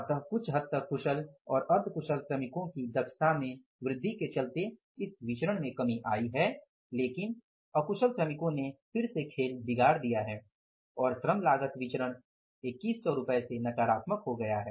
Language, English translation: Hindi, So to some extent increased efficiency of the skilled and semi skilled workers, this variance has come down but unskilled workers again have proved to be the spoiled spot and the total labor cost variance has become negative that is by 2,100